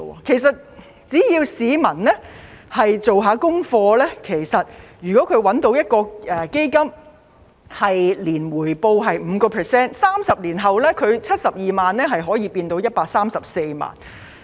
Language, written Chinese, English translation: Cantonese, 其實只要市民做一下功課，找到一個每年回報有 5% 的基金 ，30 年後72萬元可以變成134萬元。, In fact if people do some research and find a fund with an annual return of 5 % 720,000 can turn into 1.34 million in 30 years